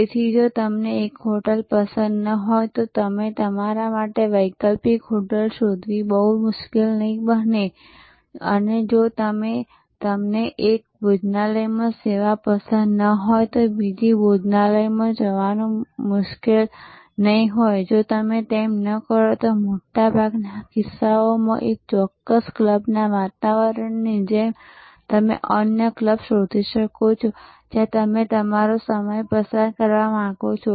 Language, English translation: Gujarati, So, if you do not like one hotel it will not be very difficult for you to find an alternative hotel, if you do not like the service at one restaurant, it will not be very difficult to move to another restaurant, if you do not like the ambiance of one particular club in most cases you can find another club where you would like to spend your time